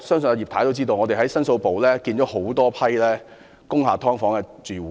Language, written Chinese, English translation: Cantonese, 在牛頭角大火後，我們在申訴部接見了多批工廈"劏房"住戶。, After the serious fire in Ngau Tau Kok we met with several groups of dwellers of subdivided units in the Complaints Division